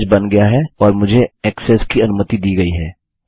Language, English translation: Hindi, Message has been created and Ive been allowed access